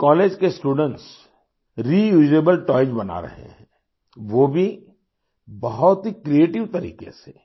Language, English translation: Hindi, Students of this college are making Reusable Toys, that too in a very creative manner